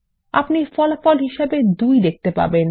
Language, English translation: Bengali, You will get the result as 2